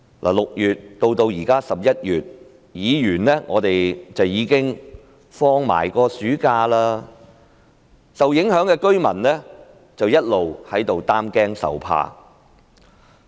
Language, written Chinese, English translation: Cantonese, 由6月至現在11月，議員亦已度過了暑假，受影響的居民卻一直在擔驚受怕。, From June to November now while Members have taken their summer holiday the affected residents have been living in fear and anxiety